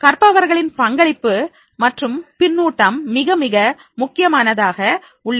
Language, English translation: Tamil, Learners participation and feedback that becomes very, very important